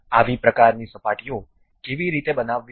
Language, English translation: Gujarati, How to construct such kind of surfaces